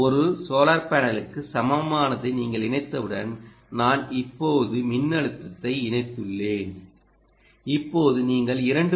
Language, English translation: Tamil, once you connect equivalent of a solar panel i have just connected the voltage now you will get two point two straight away